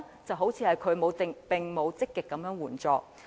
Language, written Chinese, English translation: Cantonese, 政府似乎並沒有積極提供援助。, It seems that the Government has not provided any proactive assistance